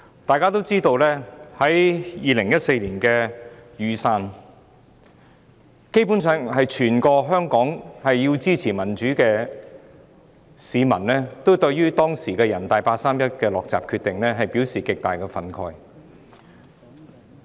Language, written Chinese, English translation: Cantonese, 眾所周知 ，2014 年雨傘運動基本上是源於全港支持民主的市民，均對當時人大常委會作出的八三一"落閘"決定極感憤慨。, As we all know the Umbrella Movement in 2014 was basically caused by intense public indignation among Hong Kong people who support democracy when the Standing Committee of the National Peoples Congress NPCSC made the 31 August Decision to shut the door on universal suffrage